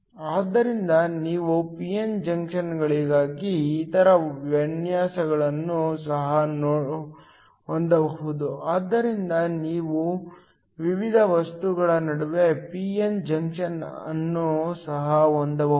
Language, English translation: Kannada, So, You can also have other designs for p n junctions; So, you can also have a p n junction between different materials